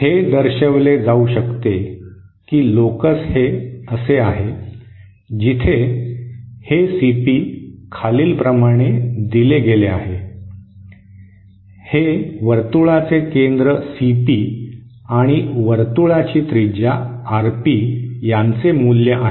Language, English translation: Marathi, It can be shown that the locus is like this where this CP is given by… This is the value of the CP the centre of the circle and RP, the radius of the circle